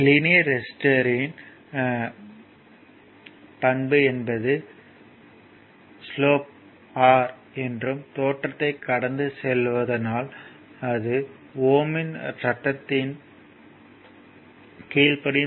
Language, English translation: Tamil, If you see this is a linear register characteristic it is slope is R, it is passing through the origin since a this following this follows Ohm’s law, right